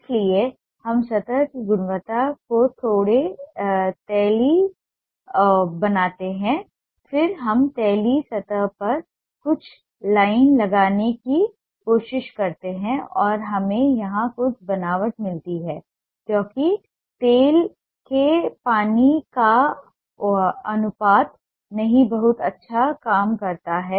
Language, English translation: Hindi, so we make the quality of the surface a little oily, then we try to apply some line on the oily surface and we get some texture here because of the oil water ratio that doesn't work too well